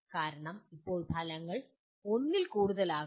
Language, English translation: Malayalam, Because now outcomes can be are more than one